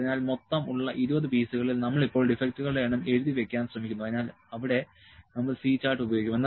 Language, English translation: Malayalam, So, out of 20 pieces, we have we are now trying to note the defects number of defects so, it we will C chart